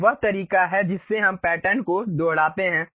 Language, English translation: Hindi, This is the way we repeat the patterns in circular way